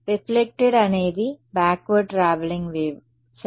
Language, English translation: Telugu, Reflected is a backward traveling wave ok